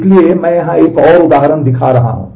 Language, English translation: Hindi, So, here I am showing another example here